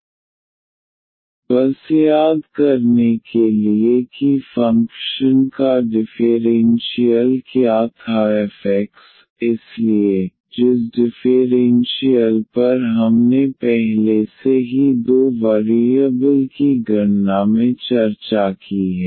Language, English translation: Hindi, Just to recall what was the differential of the function f x; so, the differential we have discussed already in calculus of two variables